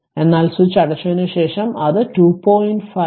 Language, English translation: Malayalam, But after closing the switch it is coming 2